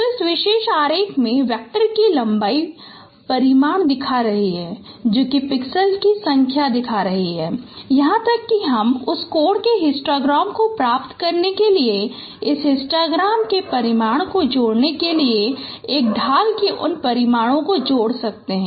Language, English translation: Hindi, So the length of the vector in this particular diagram is showing the magnitude showing the number of pixels or even you can add those magnitudes of gradient to to get the magnitude of this histogram to get that angle histogram